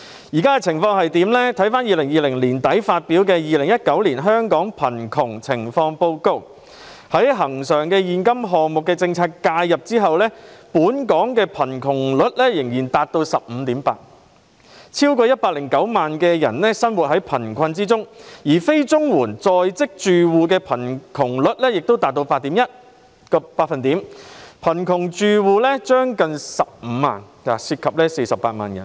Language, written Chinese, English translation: Cantonese, 根據在2020年年底發表的《2019年香港貧窮情況報告》，在恆常現金政策介入後，本港貧窮率仍達 15.8%， 超過109萬人生活在貧困之中，而非綜合社會保障援助在職住戶的貧窮率則達 8.1%， 貧窮住戶接近15萬個，涉及48萬人。, According to the Hong Kong Poverty Situation Report 2019 published in late 2020 Hong Kongs poverty rate still reached 15.8 % after recurrent cash policy intervention with over 1.09 million people living in poverty . The poverty rate of working households not receiving Comprehensive Social Security Assistance CSSA stood at 8.1 % with almost 150 000 poor households and 480 000 poor persons